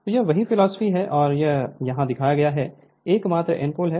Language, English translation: Hindi, So, this is the same philosophy and this is only N pole is shown here